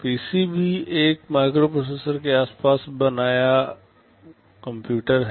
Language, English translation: Hindi, PC’s are also computers built around a microprocessor